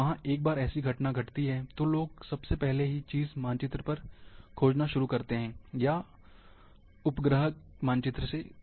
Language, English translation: Hindi, And there once such phenomena occurs, the first thing people start looking, maps, and satellite images